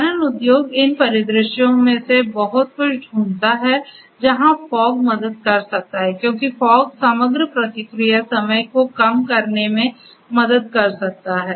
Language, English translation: Hindi, So, mining industry finds lot of these scenarios where fog can help, because fog can help in reducing the overall response time